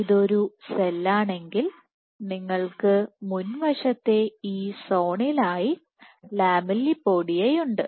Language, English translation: Malayalam, So, if this is a cell you have the lamellipodia as this zone in the front